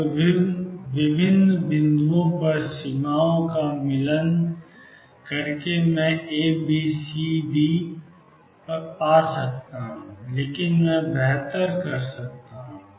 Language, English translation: Hindi, Now by matching the boundaries at different points I can find A B C and D, but I can do better